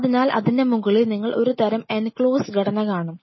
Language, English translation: Malayalam, So, on the top of it you will see a kind of a enclose structure